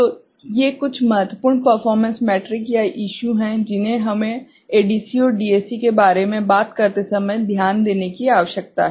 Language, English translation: Hindi, So, these are certain important performance metrics or issues that we need to take note of when we talk about ADC and DAC ok